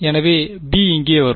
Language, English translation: Tamil, So, the b will come in over here